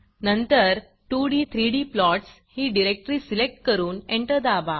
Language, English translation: Marathi, Then we will select the 2d 3d plots directory and hit enter